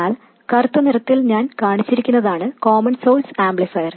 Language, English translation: Malayalam, But the stuff that I have shown in black that is the common source amplifier